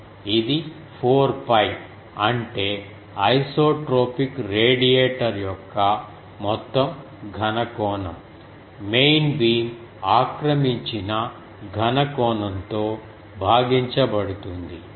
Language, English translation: Telugu, It is 4 pi is the total solid angle for the isotropic radiator divided by solid angle occupied by main beam